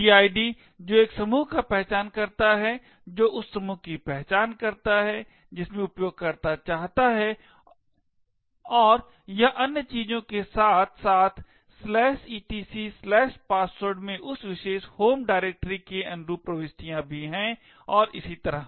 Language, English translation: Hindi, gid which is a group identifier which identifies the group in which the user wants to and it also along with other things the /etc/password also has entries corresponding to the home directory of that particular user and so on